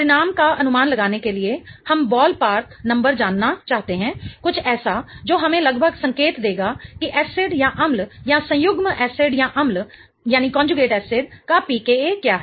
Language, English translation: Hindi, We want to know a ballpark number, something that will give us some indication about roughly what is the pk of the acid or the conjugate acid